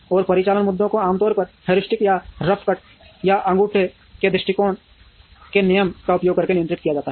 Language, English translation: Hindi, And operational issues are usually handled using heuristic or rough cut or rule of thumb approaches